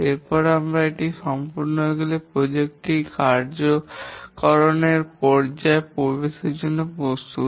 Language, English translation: Bengali, And then once these are complete, the project is ready for entering the execution phase